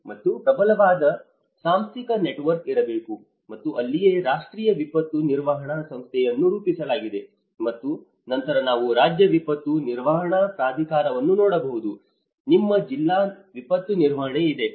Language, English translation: Kannada, And there should be a strong institutional network, and that is where the National Institute of Disaster Management has been formulated and then you can see the State Disaster Management Authority, you have the District Disaster Management